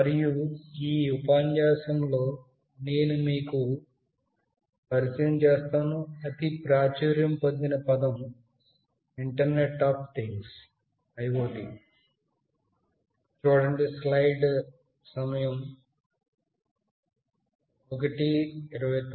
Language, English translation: Telugu, And in this lecture particularly, I will introduce you to the buzz word internet of things